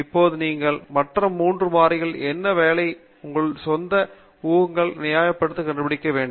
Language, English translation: Tamil, Now, you have to figure out what works for the other 3 variables and justify your own assumptions